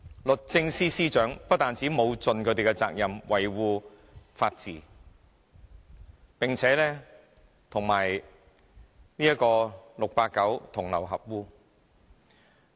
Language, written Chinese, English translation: Cantonese, 律政司司長不但沒有盡其責任，維護法治，並且與 "689" 同流合污。, Not only did the Secretary for Justice fail to fulfil his responsibility of upholding the rule of law he was complicit with 689